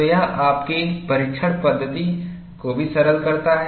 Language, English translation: Hindi, So, that simplifies your testing methodology also